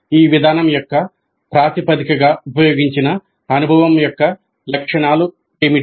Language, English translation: Telugu, What are the features of experience used as the basis of this approach